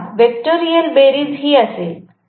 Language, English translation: Marathi, So this is going to be the vectorial sum